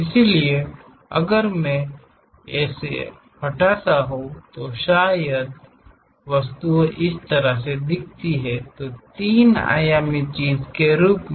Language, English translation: Hindi, So, if I am removing that, perhaps the object looks like this; so, as a three dimensional thing